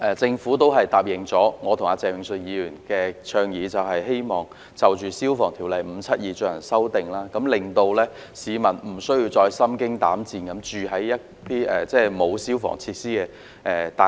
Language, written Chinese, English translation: Cantonese, 政府亦最終答應我和鄭泳舜議員的倡議，就《消防安全條例》進行修訂，令市民無需再心驚膽顫地居於沒有消防設施的大廈。, The Government has also accepted the proposal put forward by me and Mr Vincent CHENG and eventually agreed to amend the Fire Safety Buildings Ordinance Cap . 572 so that people will no longer live in fear and reside in buildings without fire safety facilities